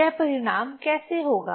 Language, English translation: Hindi, So now how result will be this